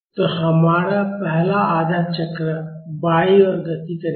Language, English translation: Hindi, So, our first half cycle will be a motion towards left